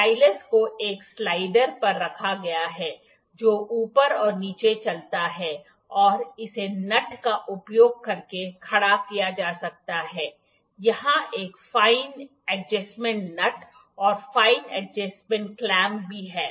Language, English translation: Hindi, The stylus is mounted on a slider that moves up and down and it can be tightened using nut the there is a fine adjustment nut as well and fine adjustment clamp here